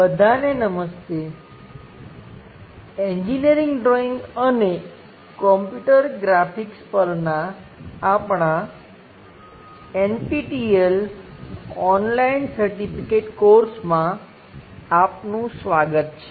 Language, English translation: Gujarati, Hello all, welcome to our NPTEL Online Certification Courses on Engineering Drawing and Computer Graphics